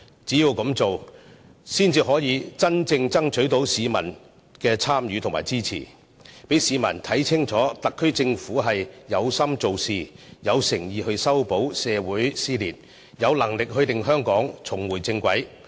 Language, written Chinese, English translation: Cantonese, 只有這樣做，才可真正爭取市民的參與和支持，讓市民看清楚特區政府有心做事，有誠意修補社會撕裂，有能力令香港重回正軌。, Only by doing so can the Government genuinely engage the public and solicit public support and show to the people clearly that the SAR Government is dedicated to do practical work sincere in resolving dissension within society and competent to bring Hong Kong back onto the right track